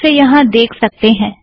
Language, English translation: Hindi, You can see it here